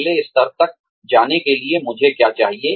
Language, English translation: Hindi, What do I need in order to, move to the next level